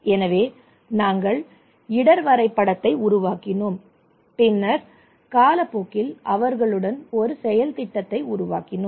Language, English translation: Tamil, So we developed risk mapping and then over the period of time we developed an action plan with them